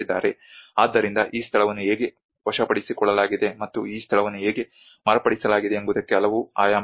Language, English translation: Kannada, So there are many dimensions of how this place is conquered and how this place is modified